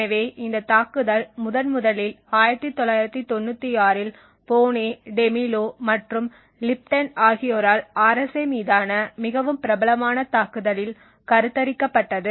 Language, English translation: Tamil, So this attack was first conceived in 1996 by Boneh, Demillo and Lipton in a very popular attack on RSA